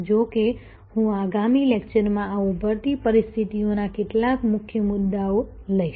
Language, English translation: Gujarati, However, I will take up some key issues of these emerging situations in the next lecture